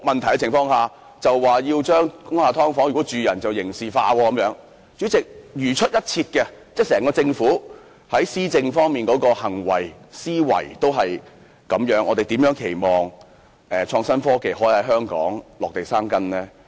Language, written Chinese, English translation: Cantonese, 代理主席，當整個政府如出一轍，在施政上的思維和行為也是如此時，我們如何期望創新科技可在香港落地生根呢？, Deputy President when the Government as a whole acts precisely along the same line in terms of mentality and behaviour in administration how can we expect innovation and technology to take root in Hong Kong?